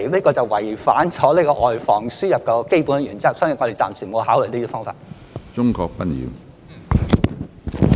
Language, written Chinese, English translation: Cantonese, 這是違反了外防輸入的基本原則，所以我們暫時沒有考慮這些方法。, This is against the basic principle of preventing the importation of cases so we have not considered these methods for the time being